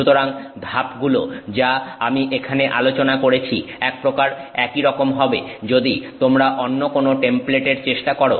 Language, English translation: Bengali, So, the steps that I am discussing here have to be generalized a bit if you are trying some other template